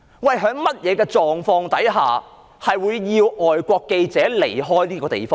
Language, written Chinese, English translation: Cantonese, 在甚麼狀況之下，會要求外國記者離開這個地方？, May I ask under what circumstances foreign journalists should be asked to leave this place?